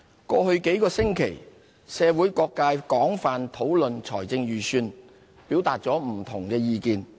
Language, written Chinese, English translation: Cantonese, 過去幾星期，社會各界廣泛討論預算案，表達不同的意見。, Over the past few weeks the public has engaged in extensive discussions and expressed diverse opinions on the Budget